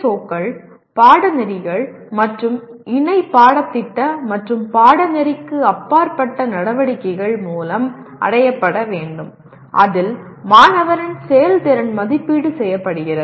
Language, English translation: Tamil, POs and PSOs as we call them are to be attained through courses, projects, and co curricular and extra curricular activities in which performance of the student is evaluated